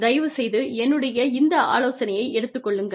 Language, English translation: Tamil, Please, please, please, please, take this piece of advice